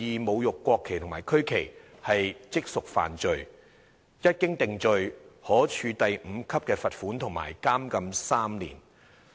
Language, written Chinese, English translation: Cantonese, 侮辱國旗及國徽，即屬犯罪"，一經定罪，"可處第5級罰款及監禁3年"。, 2602 also state clearly that A person who desecrates the national flag or national emblem publicly and wilfully is liable on conviction to a fine at level 5 and to imprisonment for 3 years